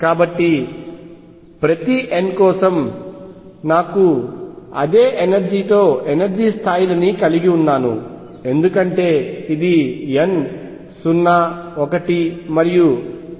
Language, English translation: Telugu, So, for each n I have energy levels with the same energy because it depends only on n 0 1 up to l minus 1; l levels